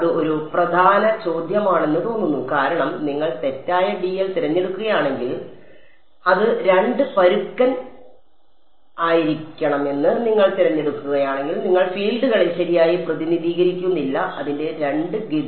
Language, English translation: Malayalam, That seems to be an important question right because if you choose the wrong dl, if you choose it to be two coarse then you are not a you are not representing the fields correctly its two course